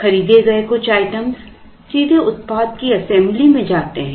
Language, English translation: Hindi, Some of the bought out items go directly into the assembly of the product